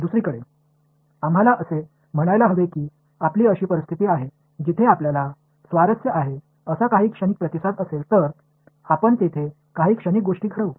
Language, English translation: Marathi, On the other hand; let us say you have a situation, where there is some transient response that you are interested in then you turn some switch on the some transient thing that happens over there